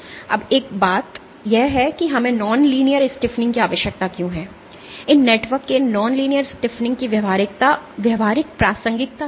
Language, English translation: Hindi, Now, one thing is why do we need non linear stiffening, why what is the practical relevance of these non linear stiffening of these networks